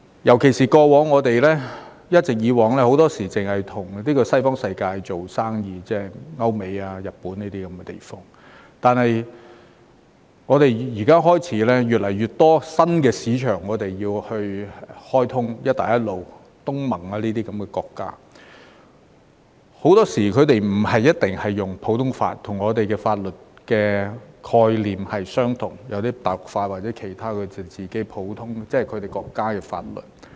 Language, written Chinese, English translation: Cantonese, 特別是，過往很多時候，我們一直也只是與西方世界做生意，例如歐美和日本等地，但我們開始有越來越多新市場需要開通，例如"一帶一路"、東盟等國家，很多時候，它們不一定採用普通法，與我們的法律概念有別，有些是用大陸法或其他它們國家自己的法律。, In particular for a long time in the past we mainly did business with the Western world such as Europe America and Japan but we are starting to open up more and more new markets . For example the Belt and Road countries ASEAN and other countries many of which do not necessarily adopt the common law system . The systems they adopted are different from ours in terms of legal concept and some of them adopt the civil law system or other legal systems of their own countries